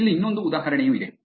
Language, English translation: Kannada, Here is another example also